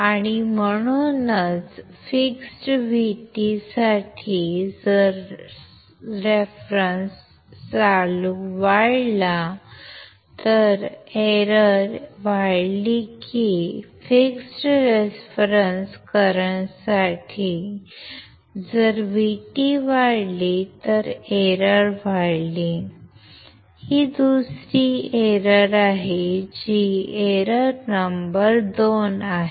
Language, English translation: Marathi, And that is why for a fixed V T if reference current increases, error increases or for fixed reference current if V T increases error increases, that is the second error that is the error number 2